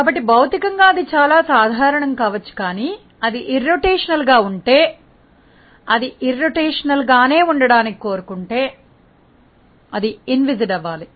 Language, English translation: Telugu, So, physically it might be very common that if it is in irrotational, if it remains if it wants to remain irrotational it has to be inviscid